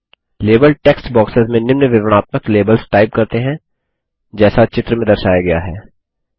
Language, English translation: Hindi, Let us type the following descriptive labels in the label text boxes as shown in the image